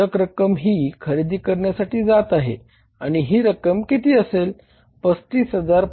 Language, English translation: Marathi, The balance is going to the purchases and this amount is going to be how much